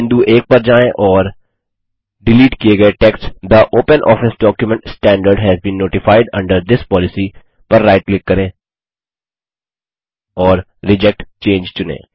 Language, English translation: Hindi, Go to point 1 and right click on the deleted text The OpenOffice document standard has been notified under this policy and select Reject change